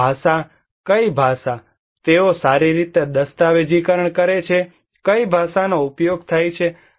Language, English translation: Gujarati, And language; What language, are they well documented, what language is used